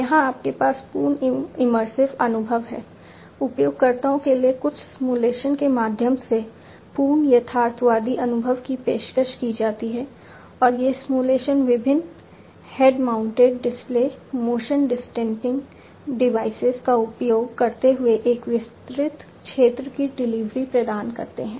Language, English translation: Hindi, Here it you have complete immersive experience; complete realistic experience is offered through some simulations to the users, and these simulations offer a delivery of a wide field of view using different head mounted displays, motion detecting devices and so, on